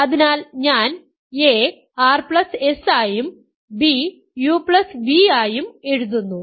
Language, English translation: Malayalam, So, I write a as r plus s, b as u plus v